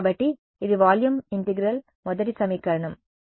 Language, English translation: Telugu, So, this is volume integral first equation well ok